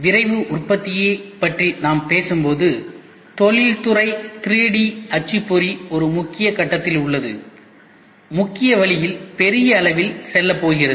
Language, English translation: Tamil, When we talk about Rapid Manufacturing the industrial 3D printer is at the tipping point, about to go mainstream in a big way